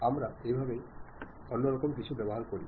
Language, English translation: Bengali, This is the way we use different kind of things